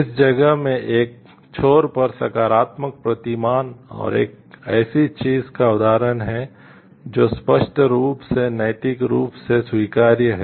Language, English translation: Hindi, At one in this place the positive paradigm, and at the example of something that is unambiguously morally acceptable